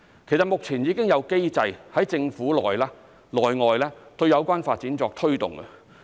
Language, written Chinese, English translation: Cantonese, 其實，目前已有機制在政府內外對有關發展作推動。, In fact mechanisms have been put in place both within and outside the Government to drive the development